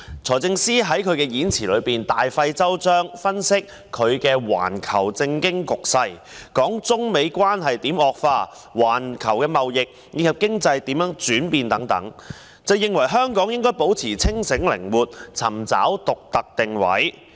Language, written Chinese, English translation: Cantonese, 財政司司長在演辭中，大費周章地分析環球政經局勢，談論中美貿易戰如何惡化及環球貿易及經濟如何轉變等，認為"需要保持清醒靈活，尋找香港的獨特定位"。, In his speech the Financial Secretary has gone to great lengths to analyse the global political and economic situation discuss how the trade war between China and the United States has deteriorated and how world trade and economy have changed . He held that we should maintain a clear and flexible mind identifying the unique positioning of Hong Kong grasping the opportunities leveraging on and giving full play to our strengths